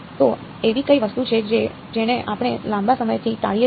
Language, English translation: Gujarati, So, what is the thing that we have been avoiding all the long